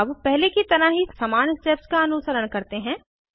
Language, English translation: Hindi, Lets follow the same steps as before